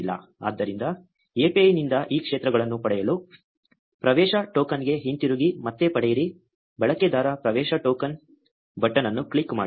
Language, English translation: Kannada, So, to get these fields from the API, go back to the get access token, click on the get user access token button again